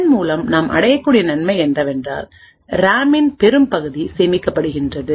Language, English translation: Tamil, The advantage to we achieve with this is that a large portion of the RAM gets saved